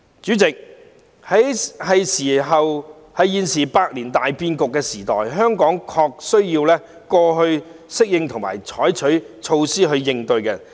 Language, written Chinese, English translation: Cantonese, 主席，在現在百年大變局的時代，香港的確需要適應和採取措施應對。, President now at this time of great changes in the century Hong Kong really needs to adapt and take corresponding measures